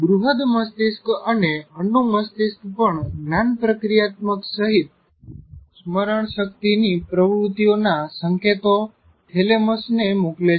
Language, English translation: Gujarati, The cerebrum and cerebellum also send signals to thalamus involving it in many cognitive activities including memory